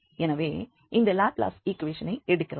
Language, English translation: Tamil, So, we have that, that you satisfy this Laplace equation